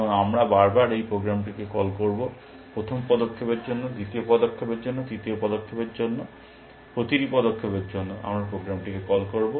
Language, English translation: Bengali, And we will repeatedly call this program, for the first move, for the second move, for the third move, for every move that we make we will call the program